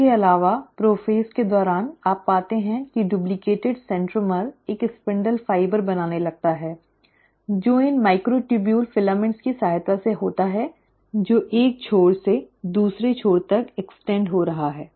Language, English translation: Hindi, Also, during the prophase, you find that the duplicated centromere starts forming a spindle fibre which is with the help of these microtubule filaments which are extending from one end to the other